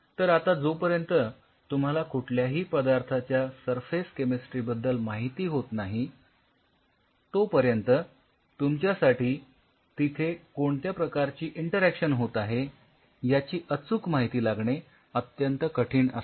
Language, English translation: Marathi, So, now, unless otherwise you know the surface chemistry of any material it is extremely tough for you to quantify that why this interaction is happening